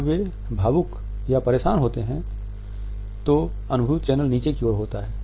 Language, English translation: Hindi, People when they are being emotional, upset, the feeling channel is down here